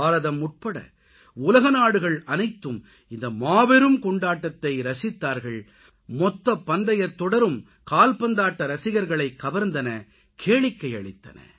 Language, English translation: Tamil, The whole world including India enjoyed this mega festival of sports and this whole tournament was both full of interest and entertainment for football lovers